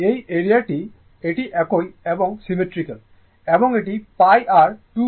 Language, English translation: Bengali, This area and this area, it is same it is symmetrical and this is pi this is 2 pi